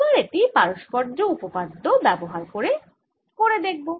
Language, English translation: Bengali, only let us now do this problem using reciprocity theorem